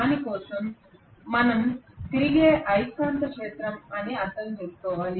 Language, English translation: Telugu, For that we will have to understand something called revolving magnetic field